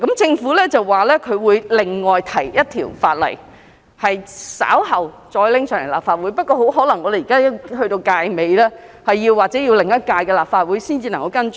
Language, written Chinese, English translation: Cantonese, 政府表示會另外提交一項法案，稍後再提交立法會，但本屆立法會的任期即將完結，或許要下一屆立法會才能跟進。, The Government said that it would submit another bill to the Legislative Council later . But this legislative term is about to end . The Government probably has to follow up this issue in the next Legislative Council